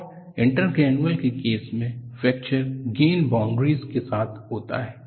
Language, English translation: Hindi, And in the case of intergranular, fracture takes place along the grain boundaries